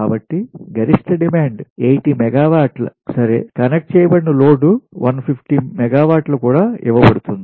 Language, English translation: Telugu, maximum demand was eighty megawatt and connected load one fifty megawatt